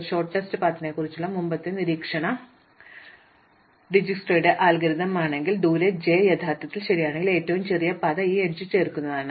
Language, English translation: Malayalam, This also means because of our previous observation about shortest paths that if actually on Dijsktra's algorithm also, that if distance j is actually correct and the shortest path now consists of just adding this edge